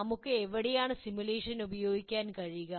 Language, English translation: Malayalam, Where can we use simulation